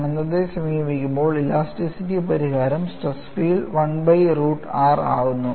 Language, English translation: Malayalam, The elasticity solution gives the stress field approach as infinity, as 1 by root r, right